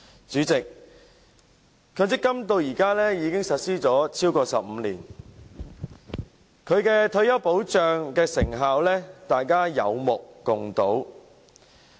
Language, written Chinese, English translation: Cantonese, 主席，強積金至今已實施超過15年，其保障退休的成效，大家心中有數。, President MPF has been implemented for over 15 years and we all know how effective it is in terms of retirement protection